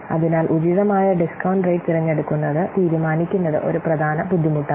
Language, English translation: Malayalam, So, deciding, choosing an appropriate discount rate is one of the main difficulty